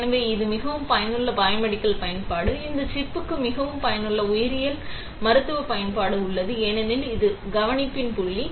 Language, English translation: Tamil, So, this is a very useful biomedical application; there is a very useful biomedical application for this chip, because it is point of care